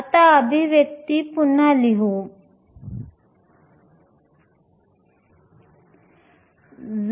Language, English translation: Marathi, Let me then rewrite this expression again